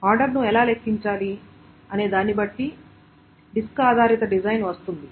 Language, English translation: Telugu, How to calculate order is where the disk based design comes